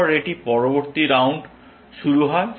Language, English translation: Bengali, Then, it starts the next round